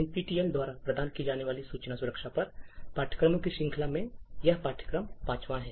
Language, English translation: Hindi, This course is a fifth, in the series of courses on information security that is offered by NPTEL